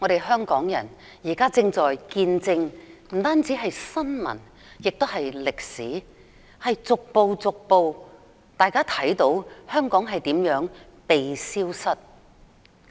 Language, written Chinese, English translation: Cantonese, 香港人現正不單見證新聞，也見證歷史，見證香港如何逐步被消失。, Hong Kong people are witnessing not only news stories but also history witnessing the vanishing of Hong Kong day by day